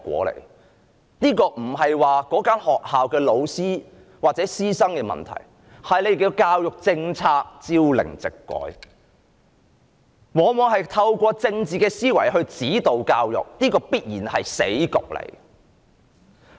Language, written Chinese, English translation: Cantonese, 問題並非出於該學校的教師或學生，而是政府的教育政策朝令夕改，往往透過政治思維指導教育，這必然是死局。, The problem lies not in the teachers or students of that school but in the frequent changes of the Governments education policies . The Government will definitely reach a dead end if it continues to direct education with a political mindset